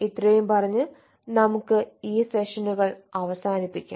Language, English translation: Malayalam, so with this, let us conclude this sessions